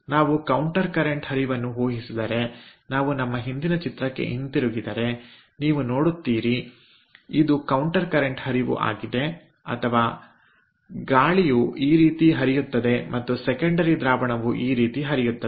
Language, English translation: Kannada, if we assume counter current flow, if we go back to our previous figure, then you see it is a counter current flow, or gas passes like this and the secondary fluid passes like this